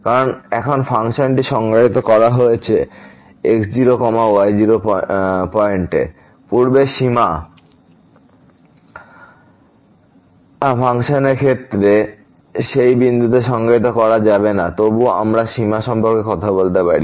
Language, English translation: Bengali, Because, now the function is defined at naught naught point; earlier in the case of limit function may not be defined at that point is still we can talk about the limit